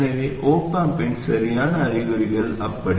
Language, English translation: Tamil, So the correct signs of the op amp are like that